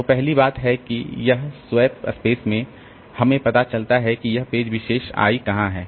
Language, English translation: Hindi, So, first thing is that in the swap space we find out where is this particular page I